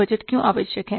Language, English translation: Hindi, Why the budgeting is required